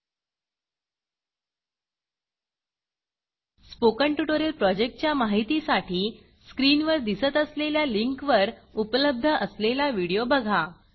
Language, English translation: Marathi, About the Spoken tutorial project Watch the video available at the link shown on the screen